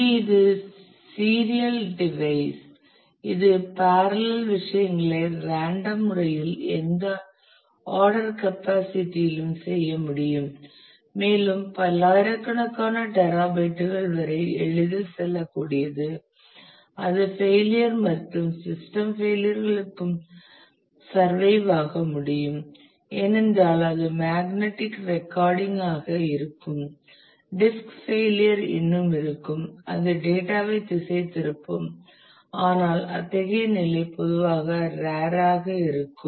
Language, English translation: Tamil, Which is the serial device here it is a, it is kind of a I can do things in parallel at random in any order capacity is go up to tens of terabytes easily and it can survive for failure and system crashes, because it will the magnetic recording will still be there if the disk itself fails then it will the data will get distract, but such a situation is usually rear